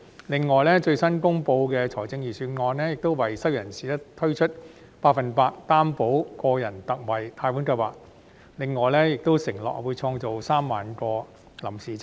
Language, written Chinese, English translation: Cantonese, 此外，最新公布的預算案，亦為失業人士推出百分百擔保個人特惠貸款計劃，並承諾會創造3萬個臨時職位。, In addition the newly delivered Budget has also introduced a Special 100 % Loan Guarantee for Individuals Scheme for the unemployed and undertaken to create 30 000 temporary posts